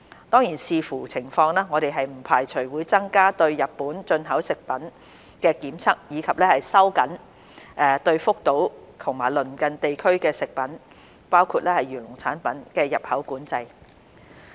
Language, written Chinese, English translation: Cantonese, 當然，視乎情況，我們不排除會增加對日本進口食品的檢測，以及收緊對福島及鄰近地區的食品的入口管制。, Of course depending on the circumstances we will not rule out increasing the tests on Japanese food imports and tightening import control on food products